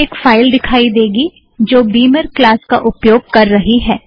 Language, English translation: Hindi, You can see a file that uses Beamer class